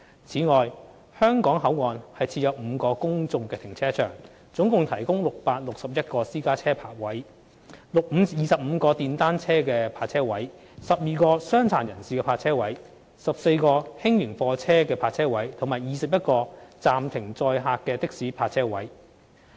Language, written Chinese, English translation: Cantonese, 此外，香港口岸設有5個公眾停車場，共提供661個私家車泊車位、25個電單車泊車位、12個傷殘人士泊車位、14個輕型貨車泊車位及21個暫停載客的士泊車位。, Besides there are five public car parks at the Hong Kong Port providing a total of 661 parking spaces for private cars 25 parking spaces for motorcycles 12 parking spaces for the disabled 14 parking spaces for light goods vehicles and 21 parking spaces for out - of - service taxis